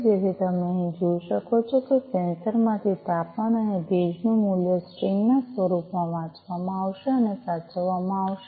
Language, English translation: Gujarati, So, as you can see over here the temperature and the humidity value from the sensor will be read and saved in the form of a string, right